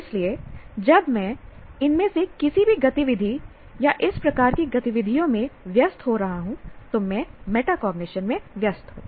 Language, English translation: Hindi, So when I am engaging in any of these activities or this type of activities, I am engaging in metacognition